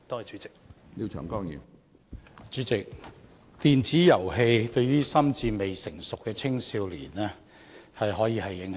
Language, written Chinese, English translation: Cantonese, 主席，電子遊戲可以對於心智未成熟的青少年造成深遠影響。, President electronic games may create a far - reaching impact on youngsters who are not mature mentally